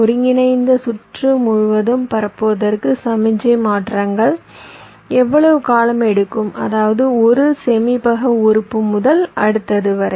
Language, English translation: Tamil, so how long signal transitions will take to propagate across the combinational circuit means from one storage element to the next